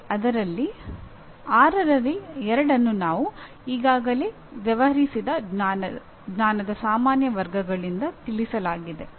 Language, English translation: Kannada, That means two of the six are already addressed by general categories of knowledge that we have already dealt with